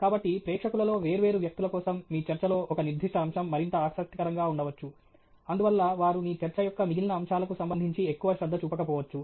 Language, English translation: Telugu, So, for different people in the audience, there may be a particular aspect of your talk that is more interesting, and so they may pay more attention to that aspect of your talk relative to the rest of it